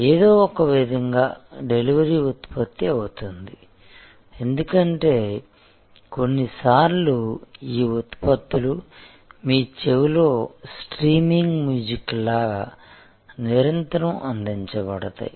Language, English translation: Telugu, In some way the delivery becomes the product, because sometimes these products are continuously delivered like streaming music in your ears all the time